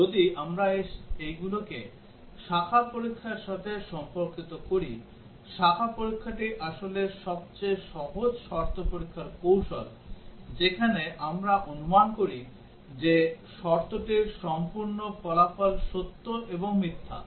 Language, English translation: Bengali, And if we relate these to branch testing, the branch testing is actually the simplest condition testing strategy, where we assume that the entire result of the condition is true and false